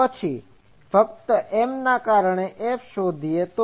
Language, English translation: Gujarati, Then, find F due to M only